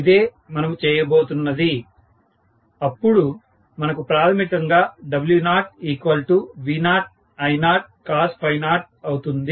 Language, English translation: Telugu, So, this is what we are doing and then we got basically W0 equal to V0 I0 cos phi 0